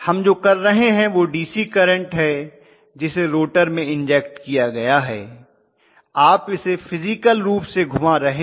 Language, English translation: Hindi, What we are doing is the DC current although is injected into the rotor, you are physically rotating it